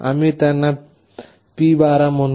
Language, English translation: Marathi, We will be calling them as P12